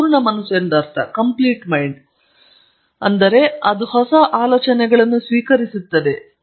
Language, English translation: Kannada, I mean a mind that is full, but is still receptive to new ideas